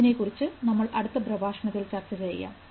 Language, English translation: Malayalam, We'll talk about it in the next lecture